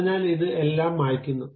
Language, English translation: Malayalam, So, it erases everything